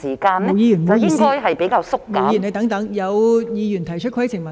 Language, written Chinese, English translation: Cantonese, 毛孟靜議員，請稍停，有議員擬提出規程問題。, Please hold on Ms MO as some Member wishes to raise a point of order